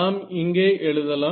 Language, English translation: Tamil, So, let us write it down over here